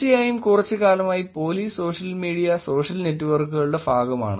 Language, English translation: Malayalam, And of course, there the police is being part of the social media, social networks for some time now